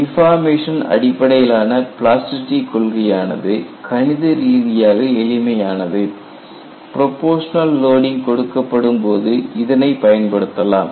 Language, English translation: Tamil, We find deformation theory of plasticity is mathematically simple and this is applicable, when you have proportional loading